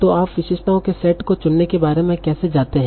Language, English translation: Hindi, So how do you go about choosing the set of features